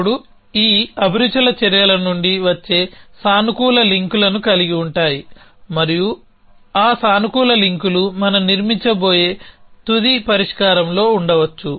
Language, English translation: Telugu, Now, hobbies these have positive links coming from actions and those positive links could be in the final solution that we have going to construct